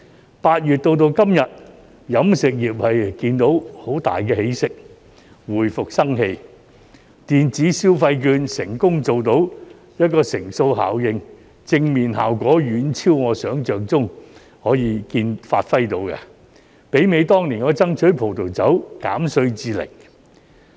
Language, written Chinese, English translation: Cantonese, 由8月至今日，飲食業看到有很大起色，回復生氣，電子消費券成功做到乘數效應，正面效果遠超我想象中可以發揮到的，媲美當年我爭取葡萄酒稅減至零。, As we can see the business of the catering industry has greatly picked up since August and shown some revival . The electronic consumption voucher has succeeded in achieving the multiplying effect and its positive effect is far beyond my imagination . It is comparable to the reduction of the wine duty to 0 % I strove for that year